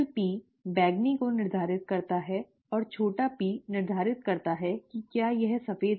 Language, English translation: Hindi, The P determines the purple and the small p determines whether it is white